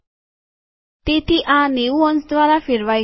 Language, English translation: Gujarati, So this has been rotated by 90 degrees